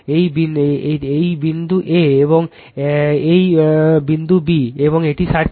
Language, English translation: Bengali, This is the point A, and this is the point B, and this is the circuit